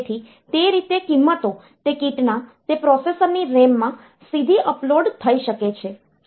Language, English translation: Gujarati, So, that way the values may be uploaded directly into the RAM of that processor of that kit